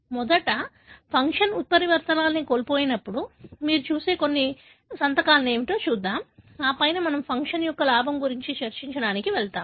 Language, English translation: Telugu, Firstly, let us look into what are the, some of the signature that you see in loss of function mutations and then we move on to go and discuss the gain of function